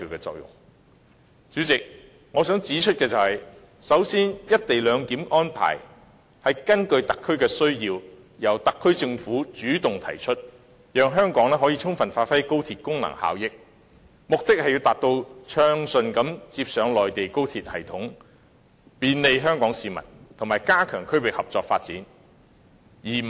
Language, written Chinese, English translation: Cantonese, 代理主席，首先我想指出，"一地兩檢"的安排是根據特區的需要，由特區政府主動提出，讓香港可以充分發揮高鐵的功能效益，目的是要暢順接駁內地高鐵系統以便利香港市民，以及加強區域合作發展。, Deputy President I would like to say that the co - location arrangement is proposed by the HKSAR Government on its own initiative based on the needs of HKSAR so that Hong Kong can give full play to the functions and benefits of XRL . The objective is to smoothly connect XRL to the high - speed rail system on the Mainland for the convenience of Hong Kong people and strengthen regional cooperation and development